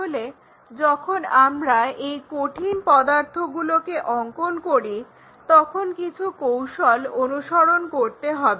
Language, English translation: Bengali, So, when we are drawing these solids, there are few tips which we have to follow